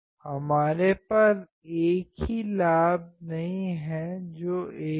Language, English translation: Hindi, We cannot have same gain which is 1